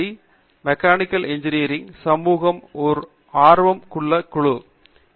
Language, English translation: Tamil, org which is an interest group for mechanical engineering community